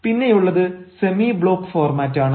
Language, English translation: Malayalam, next is a semi block format